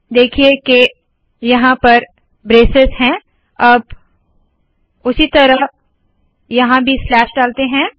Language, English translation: Hindi, See that we have the braces here similarly lets put it here also